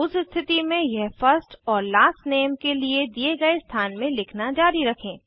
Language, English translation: Hindi, In that case, it can be continued in the space provided for First and Middle Name